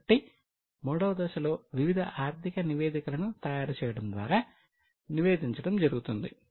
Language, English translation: Telugu, So, in the third step, reporting is done by preparing various financial statements